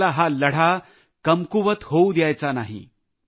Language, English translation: Marathi, We must not let this fight weaken